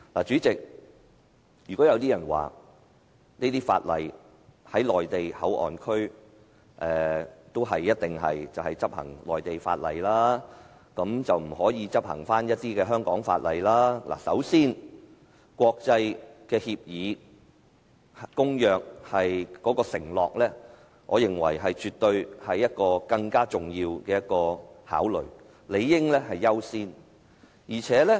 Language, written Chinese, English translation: Cantonese, "主席，如果有人說，內地口岸區一定要執行內地法律，不可執行香港法律，首先，我認為香港對國際公約的承諾絕對是更重要的考慮，理應優先。, Chairman if some people say that Mainland laws rather than Hong Kong laws must be enforced in MPA first of all I consider that Hong Kongs commitment to the international treaties is absolutely a more important consideration which should be accorded priority